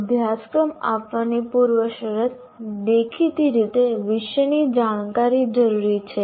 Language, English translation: Gujarati, The prerequisite, obviously to offer a course, is the knowledge of subject matter